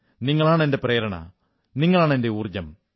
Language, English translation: Malayalam, You are my inspiration and you are my energy